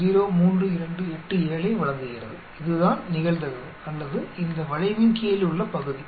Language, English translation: Tamil, 03287 that is the probability or that is the area under this curve